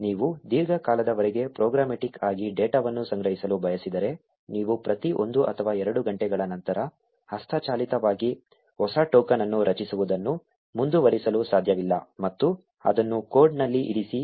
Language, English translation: Kannada, If you intend to collect data programmatically for a prolonged period of time, you cannot keep on generating a new token manually after every one or two hours and put it in the code